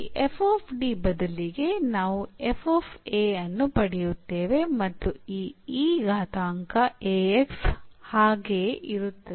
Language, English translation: Kannada, So, instead of this f D, we will get f a and this e power a x will remain as it is